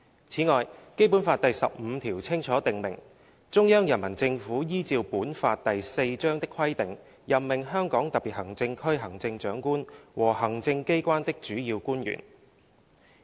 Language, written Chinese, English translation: Cantonese, "此外，《基本法》第十五條清楚訂明："中央人民政府依照本法第四章的規定任命香港特別行政區行政長官和行政機關的主要官員。, Moreover Article 15 of the Basic Law clearly provides that The Central Peoples Government shall appoint the Chief Executive and the principal officials of the executive authorities of the Hong Kong Special Administrative Region in accordance with the provisions of Chapter IV of this Law